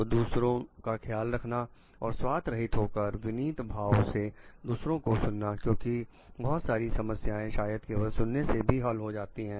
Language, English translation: Hindi, So, caring for others and it is a selfless humble listening because, many problems are solved by proper listening it may